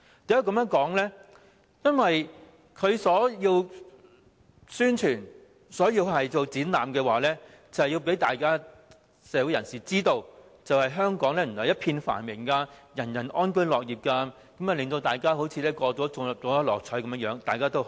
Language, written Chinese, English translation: Cantonese, 因為政府的宣傳和展覽是要讓社會人士知道原來香港一片繁榮，人人安居樂業，好像大家都中了六合彩般，全部高高興興。, Because the purpose of the Governments publicity and exhibitions is to tell people in the community that Hong Kong is very prosperous . Everyone lives in peace and works with contentment as though all of them have won the Mark Six Lottery . All of them are happy